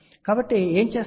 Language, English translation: Telugu, So, what they do